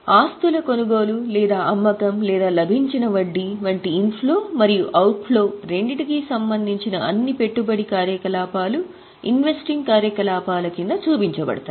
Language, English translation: Telugu, All those items which are related to investment, both inflows and outflows like purchase or sale of assets or interest received, they are all shown under the head investing activities